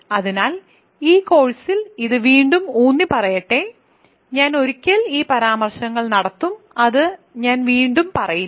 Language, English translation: Malayalam, So, in this course again let me emphasize this, I will make this remarks once and I will not say it again